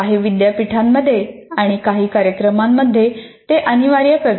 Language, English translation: Marathi, In some universities, in some programs, they make it mandatory